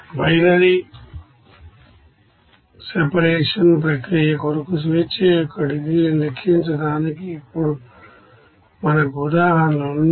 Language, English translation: Telugu, Now let us have an examples to calculate the degrees of freedom for binary separation process